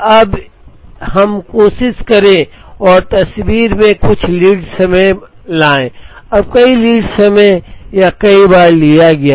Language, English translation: Hindi, Now, let us also try and bring some lead time into the picture, now there are several lead times or several times taken